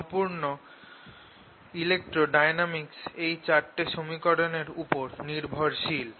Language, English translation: Bengali, so entire electrodynamics, classical electrodynamics, is based on these four equations